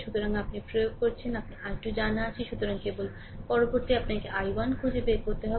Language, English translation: Bengali, So, if you apply; so, i 2 is known, so, only next is you have to find out i 1